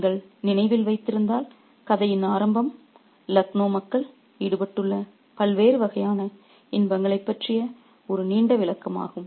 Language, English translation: Tamil, And if you remember the beginning of the story is also a lengthy description of the different kinds of pleasures in which the people of Laknow are engaged in